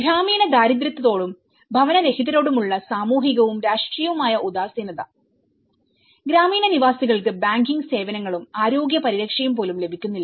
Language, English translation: Malayalam, The social and political indifference towards rural poverty and also the homelessness the rural residents rarely access to the banking services and even health care